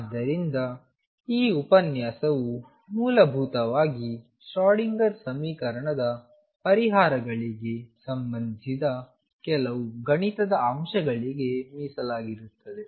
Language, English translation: Kannada, So, this lecture is essentially devoted to some mathematical aspects related to the solutions of the Schrodinger equation